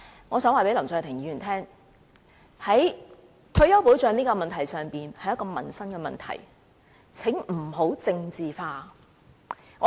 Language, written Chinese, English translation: Cantonese, 我想告訴林卓廷議員，退休保障問題是一個民生問題，請不要把它政治化。, I wish to tell Mr LAM Cheuk - ting that retirement protection is a livelihood issue so please do not politicize it